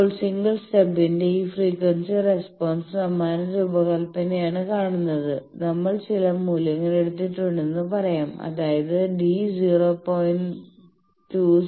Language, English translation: Malayalam, Now, this frequency response of the single stub matching you see this same design, let us say that we have taken some values that d is 0